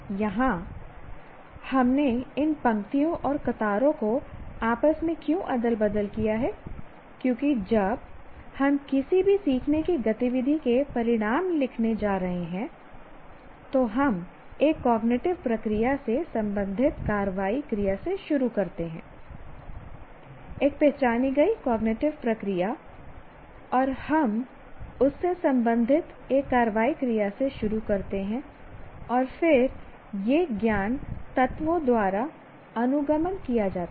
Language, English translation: Hindi, Here why we took a, we slightly altered this, interchange these two rows and columns is because when we are going to write our so called outcome of any learning activity, we start with the cognitive action verb related to a one cognitive process, one identified cognitive process and we start with an action verb related to that and then it is followed up by what do you call the knowledge elements